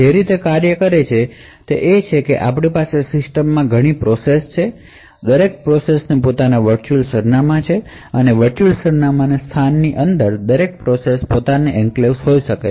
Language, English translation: Gujarati, So, the way it works is that we have multiple processes present in the system each process has its own virtual address space and within this virtual address space each process could have its own enclave